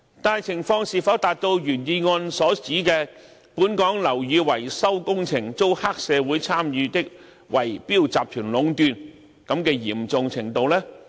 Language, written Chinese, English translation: Cantonese, 但情況是否達到原議案所指"本港樓宇維修工程遭黑社會參與的圍標集團壟斷"的嚴重程度呢？, However has the situation reached such a serious point that building maintenance works in Hong Kong have been monopolized by bid - rigging syndicates involving triad members as suggested in the original motion?